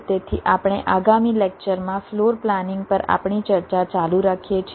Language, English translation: Gujarati, so we continuing with our discussion on floor planning in the next lecture